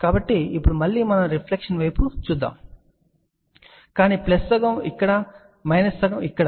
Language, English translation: Telugu, So, for that now, again we are looking at a reflection, but plus half here minus half here